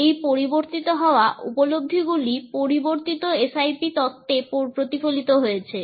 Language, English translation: Bengali, And these changing perspectives are reflected in the changing SIP theories